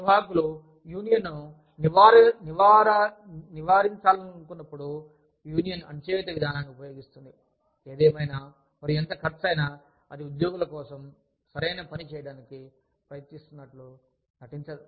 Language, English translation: Telugu, Management uses the union suppression approach, when it wants to avoid unionization, at all costs, and does not make any pretense, of trying to do the right thing, for its employees